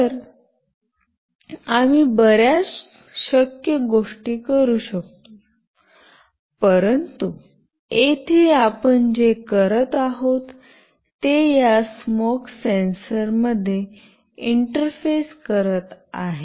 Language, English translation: Marathi, So, we can do many possible things, but here what we are doing essentially is will be interfacing this smoke sensor